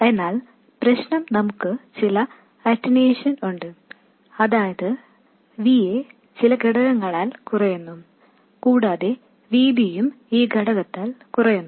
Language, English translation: Malayalam, But the problem is that we have some attenuation, that is, VA is reduced by some factor and VB is also reduced by this factor